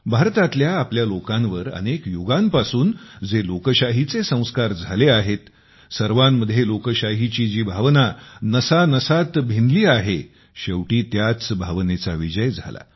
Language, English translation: Marathi, For us, the people of India, the sanskars of democracy which we have been carrying on for centuries; the democratic spirit which is in our veins, finally won